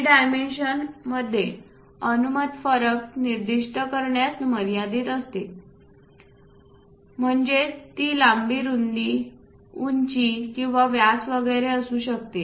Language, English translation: Marathi, It limits specifying the allowed variation in dimension; that means, it can be length width, height or diameter etcetera are given the drawing